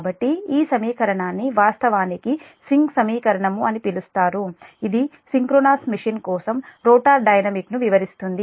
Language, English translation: Telugu, this is swing equation and your, it describes the rotor dynamics of the synchronous machine